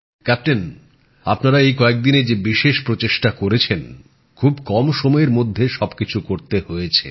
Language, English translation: Bengali, Captain the efforts that you made these days… that too you had to do in very short time…How have you been placed these days